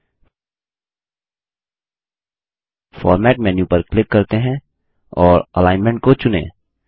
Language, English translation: Hindi, For this, let us click on Format menu and choose Alignment